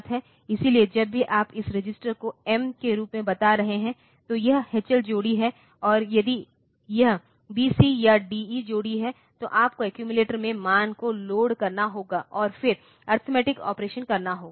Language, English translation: Hindi, So, it is the H L pair, and if it is B C or D E pair then you have to use the you have to load the value into the accumulator, and then do the arithmetic operation